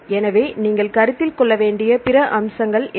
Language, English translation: Tamil, So, what are the contents then what are other aspects you to consider